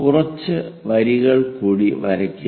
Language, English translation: Malayalam, Draw few more lines